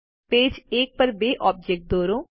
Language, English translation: Gujarati, Draw two objects on page one